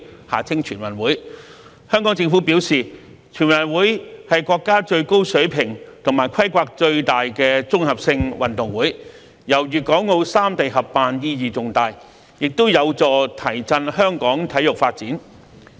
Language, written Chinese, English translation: Cantonese, 香港政府表示，全運會是國家最高水平和規模最大的綜合性運動會，由粵港澳三地合辦意義重大，也有助提振香港體育發展。, The Hong Kong Government has indicated that the hosting of the National Games which is a comprehensive sports event of the largest scale and the highest level in the country jointly by the three places of Guangdong Hong Kong and Macao carries a significant meaning and the event will help promote sports development in Hong Kong